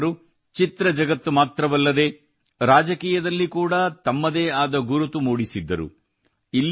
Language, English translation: Kannada, NTR had carved out his own identity in the cinema world as well as in politics